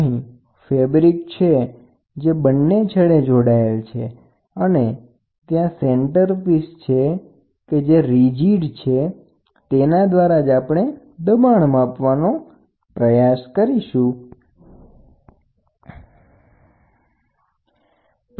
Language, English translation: Gujarati, So, here is a fabric which is there, this is attached at both ends and then you have a centerpiece which is yeah a rigid piece with which you try to measure the pressure